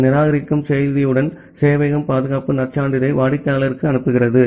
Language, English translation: Tamil, And with this reject message the server sends the security credential to the client